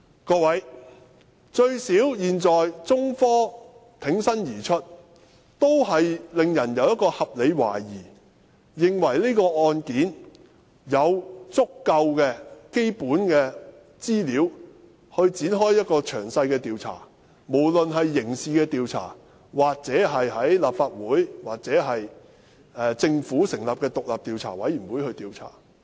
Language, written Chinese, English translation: Cantonese, 各位，現在起碼有中科挺身而出，令人有合理懷疑，認為事件有足夠的基本資料展開詳細調查，不論是刑事調查、在立法會展開調查，或由政府成立獨立調查委員會作出調查。, This at least has given us reasonable doubts and sufficient basic information to initiate a detailed investigation . This can be a criminal investigation an investigation initiated by the Legislative Council or an investigation conducted by an independent commission of inquiry set up by the Government